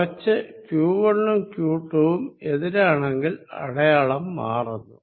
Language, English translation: Malayalam, On the other hand, if q 1 and q 2 are opposite the sign changes